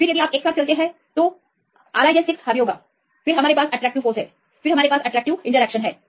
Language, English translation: Hindi, Then if you move together then the R i j; 6 will dominate then we have the attractive force, then we have attractive interactions